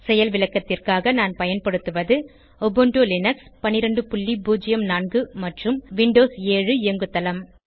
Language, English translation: Tamil, For demonstration purpose, I will be using Ubuntu Linux 12.04 and Windows 7 operating system